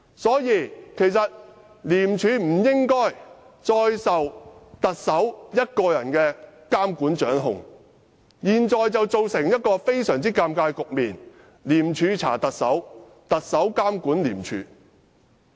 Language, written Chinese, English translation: Cantonese, 所以，廉署不應再受特首一個人監管和掌控，現時局面非常尷尬：廉署查特首，特首監管廉署。, Therefore ICAC should no longer be subject to the Chief Executives monitoring and control . The present situation is very embarrassing ICAC is investigating the Chief Executive while the Chief Executive is monitoring ICAC